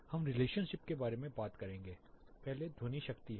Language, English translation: Hindi, We will talk about the relationship first is sound power